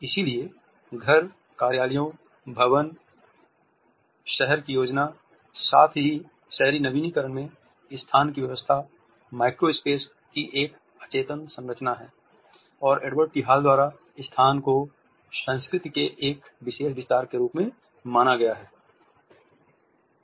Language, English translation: Hindi, So, organization of a spaces, in houses, offices, building, city planning, as well as urban renewal is an unconscious structuring of micro space and a space has been treated by Edward T Hall as a specialized elaboration of culture